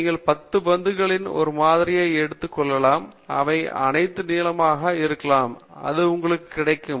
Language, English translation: Tamil, You may be taking a sample of 10 balls, and if all of them happened to be blue, then that is the conclusion you will get